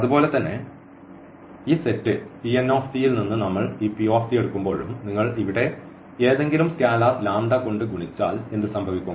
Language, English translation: Malayalam, Similarly when we take this p t from this from this set P n t and if you multiply by any scalar here the lambda times this p t